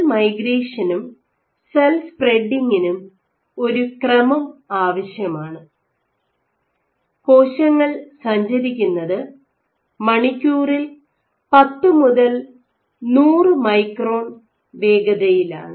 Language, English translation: Malayalam, While cell migration and cell spreading requires the order of so cells migration might have a cell speed of ten to hundred microns per hour